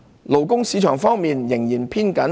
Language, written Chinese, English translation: Cantonese, 勞工市場方面仍然偏緊。, The labour market remained tight